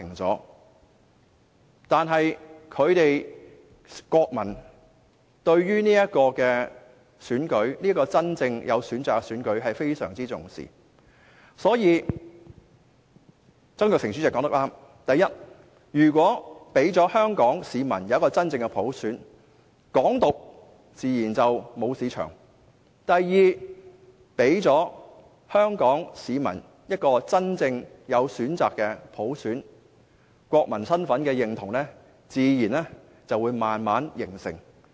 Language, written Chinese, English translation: Cantonese, 然而，英國國民非常重視這個真正有選擇的選舉，所以前立法會主席曾鈺成說得對——第一，如果給予香港市民真正的普選，"港獨"自然沒有市場；第二，給予香港市民一個真正有選擇的普選，國民身份的認同便自然會逐漸形成。, Despite all these the British nationals do attach a great deal of importance to such an election that offers them genuine choices . And so the former Legislative Council Chairman Mr Jasper TSANG was right in this regard First no one will ever resort to advocating independence of Hong Kong if Hong Kong people are given genuine universal suffrage; second peoples recognition of their national identity will come naturally when there are elections that offer genuine choices to voters